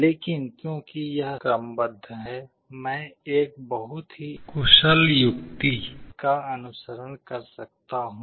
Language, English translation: Hindi, But because it is sorted I can adapt a very intelligent strategy